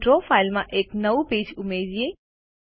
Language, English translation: Gujarati, Lets add a new page to the Draw file